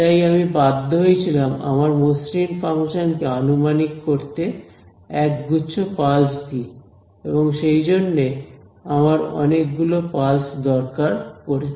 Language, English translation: Bengali, So, I was forced to approximate my smooth function by set of pulses that is why I need large number of pulses right